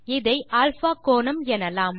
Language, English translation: Tamil, we will call this angle α